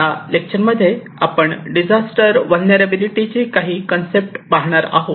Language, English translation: Marathi, This lecture, we will talk on disaster vulnerability, some concepts